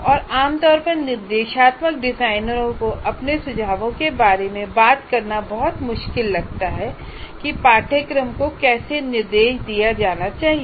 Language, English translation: Hindi, And generally instructional designers find it very hard to talk about their approaches to, they are their suggestions how the course should be instructed because they are not looking at the content